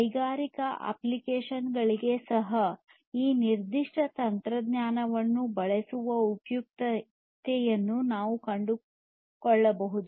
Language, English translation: Kannada, Even for industrial applications, you might be able to find the necessity or the usefulness of using this particular technology